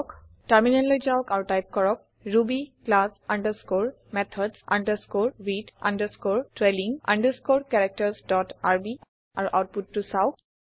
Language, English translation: Assamese, Switch to the terminal and type ruby class underscore methods underscore with underscore trailing underscore characters dot rb and see the output